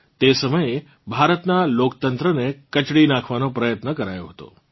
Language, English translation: Gujarati, At that time an attempt was made to crush the democracy of India